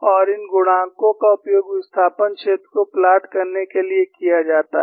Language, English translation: Hindi, You have these coefficients and these coefficients could be used to plot even the displacement field